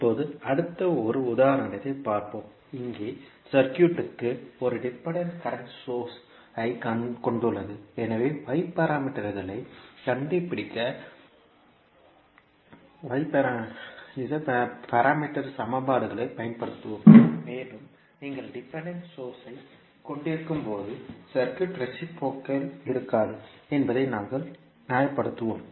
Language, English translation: Tamil, Now, next let us see another example, here the circuit is having one dependent current source, so we will use the parameter equations to find out the y parameters and we will justify that when you have the dependent source the circuit will not be reciprocal